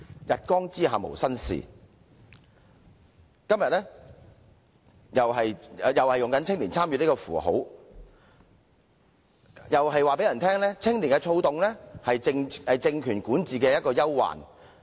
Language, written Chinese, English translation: Cantonese, 日光之下無新事，今天同樣是利用青年參與這個符號，但亦不忘告訴大家，青年躁動是政權管治的憂患。, As there is nothing new under the sun youth participation is being used again today but I must tell you that the restlessness of young people is a great concern for the governing regime . To address the restlessness of young people both carrot and stick will be offered